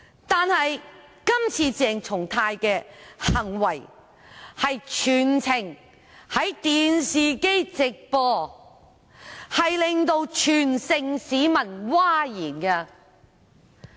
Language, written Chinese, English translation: Cantonese, 但是，鄭松泰議員今次的行為全程在電視直播，令全城市民譁然。, However Dr CHENG Chung - tais behaviour was broadcast live on television the whole course and caused a public uproar